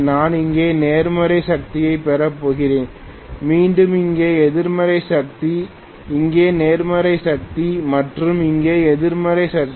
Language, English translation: Tamil, I am going to get positive power here, again negative power here, positive power here and negative power here